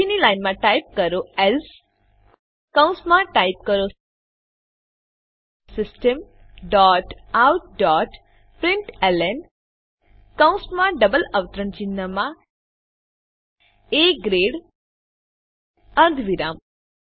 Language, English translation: Gujarati, Next line type else within brackets type System dot out dot println within brackets and double quotes A grade semicolon